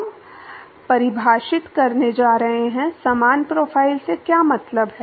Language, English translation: Hindi, We are going to define, what is mean by similar profile